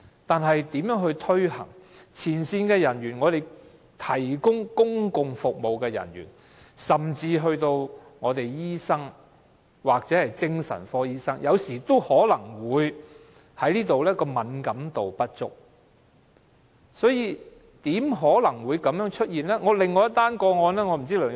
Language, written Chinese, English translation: Cantonese, 但是，問題是如何向前線人員、提供公共服務的人員，甚至醫生或精神科醫生推廣這種服務，避免他們對這方面的敏感度不足？, The only thing is that there must be some problems with the promotion of this service to do away with the lack of sensitivity in this regard among frontline personnel people who provide public service and even doctors or psychiatrists